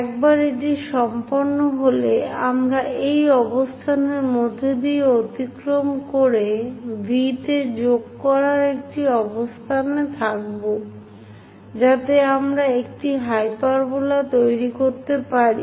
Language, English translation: Bengali, Once it is done, we will be in a position to join V all the way passing through this point, so that a hyperbola we will be in a position to construct